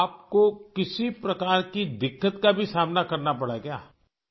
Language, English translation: Urdu, Did you also have to face hurdles of any kind